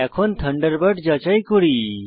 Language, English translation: Bengali, Lets check Thunderbird now